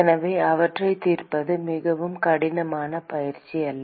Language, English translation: Tamil, So, it is not a very difficult exercise to solve them